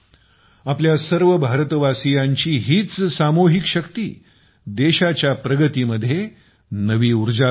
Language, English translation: Marathi, This is the collective power of the people of India, which is instilling new strength in the progress of the country